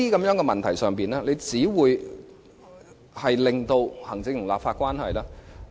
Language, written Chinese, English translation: Cantonese, 在這些骨節眼上，只會令行政立法關係惡化。, At this critical point it will only aggravate the already strained executive - legislature relationship